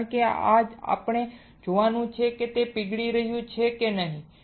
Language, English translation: Gujarati, Because we are to see whether it is melting or not